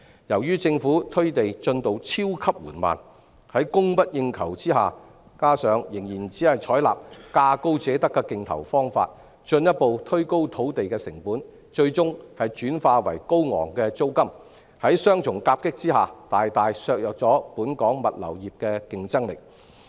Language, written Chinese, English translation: Cantonese, 由於政府推地進度超級緩慢，在供不應求之下，加上政府仍然只採納價高者得的競投方法，土地成本進一步推高，最終轉化為高昂租金，在雙重夾擊下，大大削弱本港物流業的競爭力。, Given the exceedingly slow provision of land by the Government excessive demand coupled with the fact that the Government still only awards bids to the highest bidder has further pushed up land costs which are eventually translated into high rentals . Such double impact greatly undermines the competitiveness of the Hong Kong logistics industry